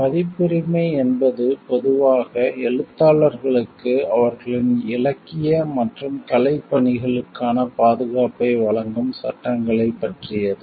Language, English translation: Tamil, Copyrights are generally about the laws which grant authors, the protection for their literary and artistic work